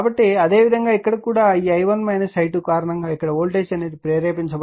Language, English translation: Telugu, So, similarly here also due to this i1 minus i 2 voltage will be induced here